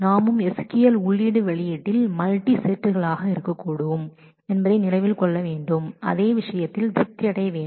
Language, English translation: Tamil, We also note that in SQL input output could be multisets so, the same thing has to be satisfied in terms of multisets